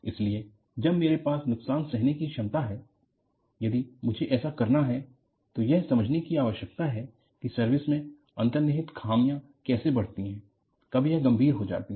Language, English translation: Hindi, So, when I have to have damage tolerance, if I have to do that, it requires an understanding of how an inherent flaw grows in service and when does it become critical